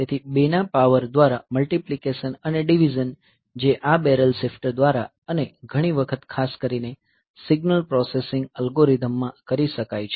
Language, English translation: Gujarati, So, multiplication and division by powers of 2, so, that can be done by this barrel shifter and many a times particularly in signal processing algorithms